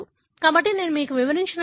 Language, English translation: Telugu, So, this is what I explained to you